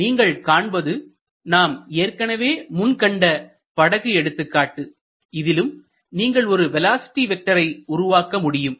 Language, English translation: Tamil, So, see the example of the boat that we saw earlier and you may construct such velocity vector